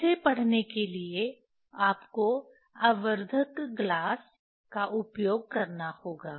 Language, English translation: Hindi, to take this reading, one has to use the magnifying glass